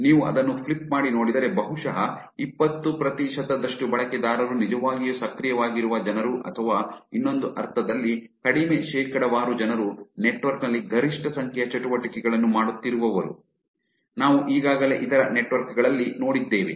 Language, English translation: Kannada, Which is if you flip it and see it is probably looking at 20 percent of the users are actually the people who are actually very active or in another sense less percentage of people are the ones who are actually doing maximum number of activities in the network, which we have already seen in other networks also